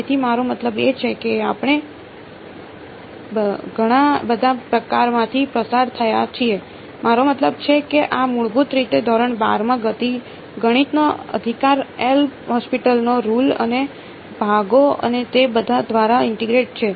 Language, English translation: Gujarati, So, this is I mean we have gone through a lot of very sort of I mean this is basically class 12th math right L’Hopital’s rule and integration by parts and all of that right